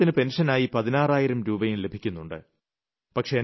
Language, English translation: Malayalam, He receives a pension of sixteen thousand rupees